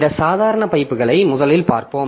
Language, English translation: Tamil, So, we will look into this ordinary pipes first